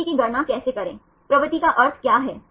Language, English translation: Hindi, How to calculate the propensity, what is the meaning of propensity